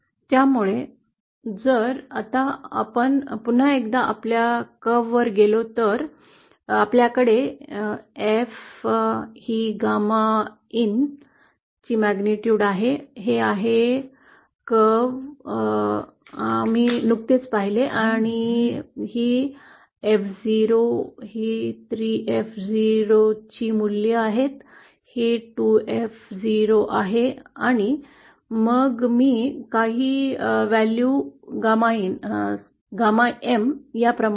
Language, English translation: Marathi, So now if we go back once again to our curve, so we have F this is magnitude gamma E, this is , this is the curve that we just saw and these are the values of F0, 3 F 0, this is 3F0, and then I define certain value gamma E, gamma N like this